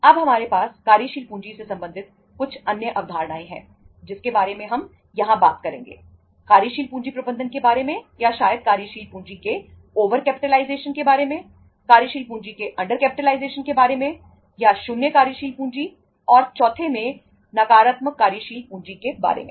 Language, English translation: Hindi, Now we have some other concepts relating to the working capital say uh we talk here about working capital management or maybe the over capitalization of the working capital, under capitalization of the working capital, or the zero working capital and fourth one is the negative working capital